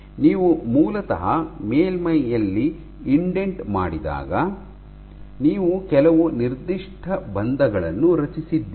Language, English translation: Kannada, This is basically when you have actually indent in the surface you have formed some nonspecific bonds